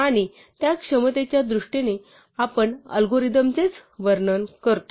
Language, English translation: Marathi, And in terms of that capability, we describe the algorithm itself